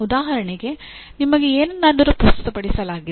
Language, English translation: Kannada, That means something is presented to you